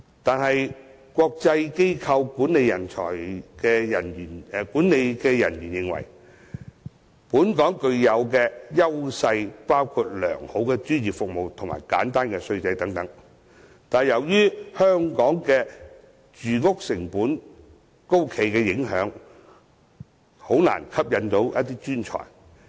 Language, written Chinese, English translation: Cantonese, 可是，有國際機構管理人員認為，本港雖然具有良好專業服務及簡單稅制等優勢，但由於住屋成本高企，因而難以吸引專才。, However according to the management of international organizations though Hong Kong has the advantages of good professional services and a simple tax regime its high housing cost makes it difficult to attract talents